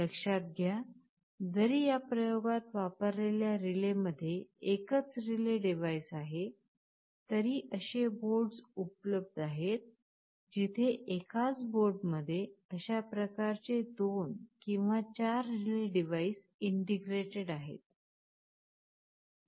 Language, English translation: Marathi, You may note that although this particular relay I shall be showing in this experiment has a single relay device, there are boards available where there are 2 or 4 such relay devices integrated in a single board